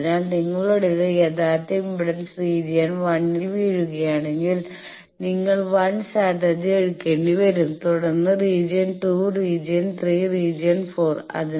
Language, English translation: Malayalam, So, if you were your original impedance if it falls on region 1 then you will have to take 1 strategy then region 2 regions 3, region 4